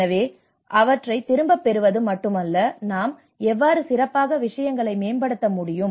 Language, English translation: Tamil, So it is not just only taking them to the back but how we can improve things better